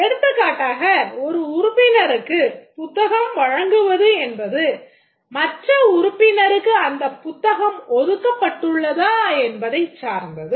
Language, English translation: Tamil, For example, issuing a book by a member may be dependent on another member whether he has reserved